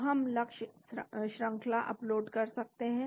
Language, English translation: Hindi, So, we can upload the target sequence